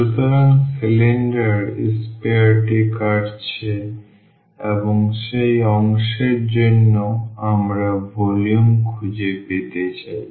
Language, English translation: Bengali, So, the sphere is the cylinder is cutting the sphere and that portion we want to find the volume